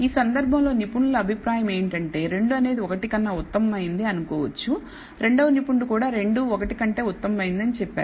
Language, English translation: Telugu, In this case experts opin ion is that 2 is let us say better than 1, expert 2 also says 2 is better than 1